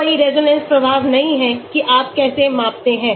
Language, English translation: Hindi, There is no resonance effect how you measure